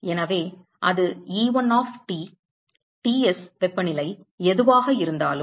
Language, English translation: Tamil, So that will be E1 of T whatever is that temperature Ts